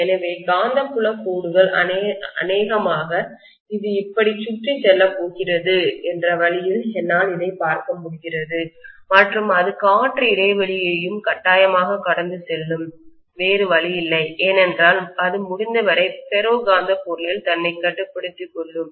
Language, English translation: Tamil, So the magnetic field lines probably I can look at it this way that it is going to go around like this and it will go through the air gap also forcefully, there is no other way because it will try to confine itself as much as possible to the ferromagnetic material